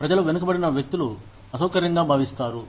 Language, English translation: Telugu, The people, who are left behind, may feel uncomfortable